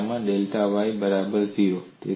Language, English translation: Gujarati, In that case, delta y equal to 0